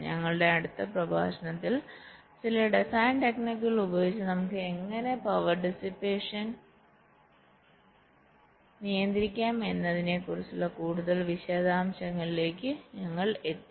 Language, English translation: Malayalam, in our next lectures we shall be moving in to some more details about how we can actually control power dissipations by some design techniques